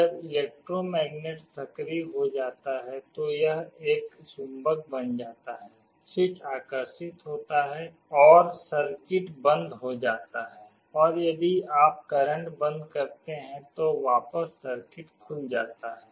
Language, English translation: Hindi, When the electromagnet is activated, it becomes a magnet, the switch is attracted and the circuit closes and if you withdraw the current the circuit again opens